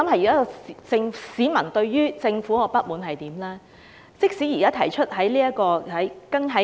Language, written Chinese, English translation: Cantonese, 現時市民對於政府的不滿是甚麼呢？, Why are the people so mad with the government?